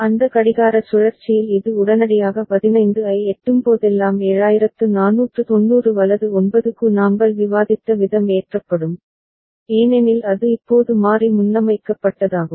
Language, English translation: Tamil, Whenever this reaches 15 immediately within that clock cycle the way we had discussed it for 7490 right 9 gets loaded because it is now variable preset